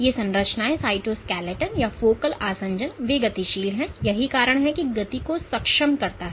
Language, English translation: Hindi, These structures: the cytoskeleton or focal adhesions they are dynamic, that is how the enable movement